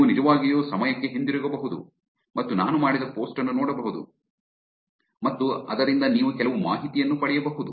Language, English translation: Kannada, You can actually go back in time and look at the post that I have done and you can derive some information even from that